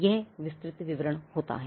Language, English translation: Hindi, This is the detailed description